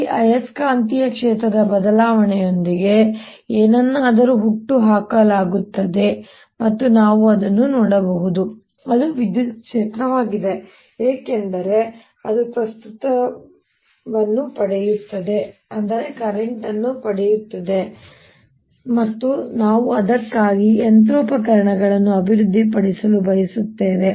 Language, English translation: Kannada, right, something exist, the change of this, this magnetic field, something is given rise to and we can see that electric field because that that derives the current and we want to develop the machinery form for it